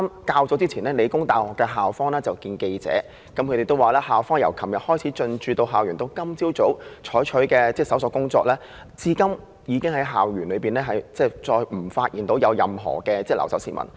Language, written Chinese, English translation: Cantonese, 較早前，理大校方會見記者，表示由昨天進駐校園至今早，一直進行搜索，現時已再無發現任何留守市民。, Earlier the PolyU authorities met the press and said that from the time they entered the campus yesterday till this morning they had been conducting searches to see if there was any person still staying on campus but to no avail